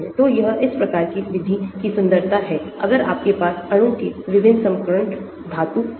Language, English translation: Hindi, so that is the beauty of this type of methods if you have transition metal also in your molecule